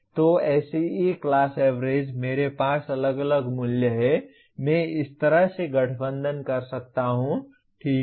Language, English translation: Hindi, So the SEE class averages, I have individual values, I can combine like this, okay